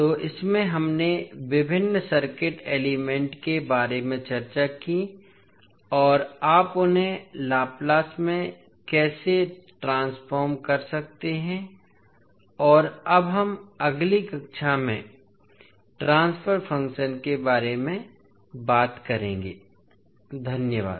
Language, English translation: Hindi, So, in this we discussed about various circuit elements and how you can convert them into Laplace transform and we will talk about now the transfer function in the next class, thank you